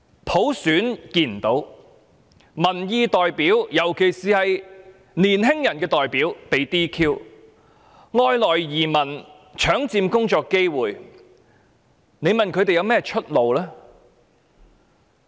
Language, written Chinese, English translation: Cantonese, 我們看不到普選，而民意代表——特別是青年人的代表——又被 "DQ" 取消資格，加上外來移民搶佔工作機會，試問青年人有何出路？, Not only is universal suffrage out of reach but representatives of public views especially representatives of young people had also been disqualified . Worse still immigrants have seized many job opportunities . May I ask if there is a way out for young people?